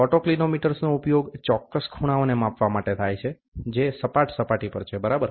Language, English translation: Gujarati, Autocollimator are used for measuring precise angles, which is there on a flat surface, ok